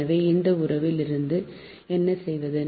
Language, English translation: Tamil, so what will do from this relation